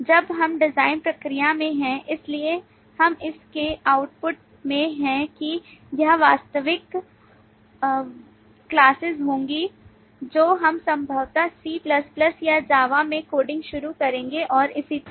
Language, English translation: Hindi, the output of this would be actual classes that we would start coding, possibly in C++ or in Java and so on